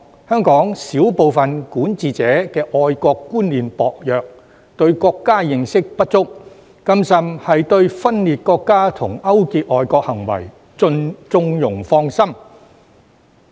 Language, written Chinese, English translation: Cantonese, 香港少部分管治者的愛國觀念薄弱，對國家認識不足，更甚的是對分裂國家和勾結外國行為縱容放生。, A small number of Hong Kongs administrators have a weak sense of patriotism and a lack of understanding of the country . Worse still they condone the acts of secession and collusion with foreign countries